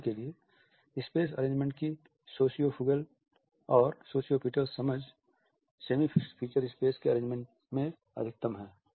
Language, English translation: Hindi, For example, the sociofugal and sociopetal understanding of space arrangement is same maximum in our arrangement of the semi fixed feature space